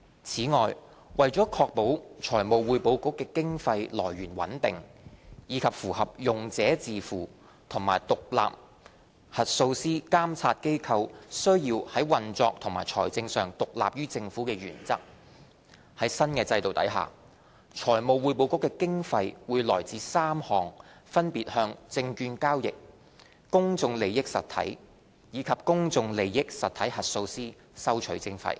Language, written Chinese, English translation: Cantonese, 此外，為確保財務匯報局經費來源穩定，以及符合"用者自付"和獨立核數師監察機構須在運作及財政上獨立於政府的原則，在新制度下，財務匯報局的經費會來自3項分別向證券交易、公眾利益實體及公眾利益實體核數師收取的徵費。, In addition to ensure the stability of funding support for the Financial Reporting Council and in accordance with the principle of user pay and the principle that the independent auditor oversight body should be operationally and financially independent of the Government the Financial Reporting Council under the new regime will be funded by introducing three new levies on securities transactions PIEs and PIE auditors respectively